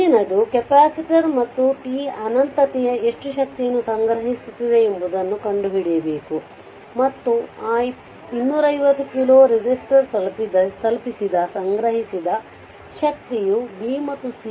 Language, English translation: Kannada, Next is determine how much energy stored in the capacitor and t tends to infinity and so that ah the stored energy delivered to that 250 kilo resistor is the difference between the result obtained in b and c